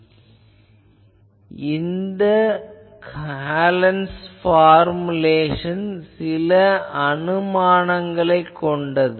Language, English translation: Tamil, So, this Hallen’s formulation has assumptions